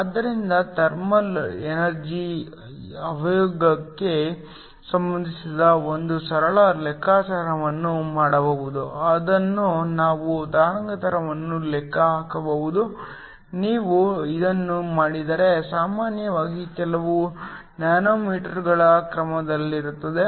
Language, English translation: Kannada, So, one can do a simple calculation relating the thermal energy to the momentum in form which we can calculate the wavelength, if you do that is usually of the order of a few nanometers